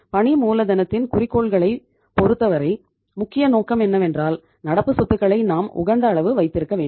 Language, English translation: Tamil, As we have seen in case of the objectives of the working capital that the important objective of the working capital management is that we have to keep the optimum level of current assets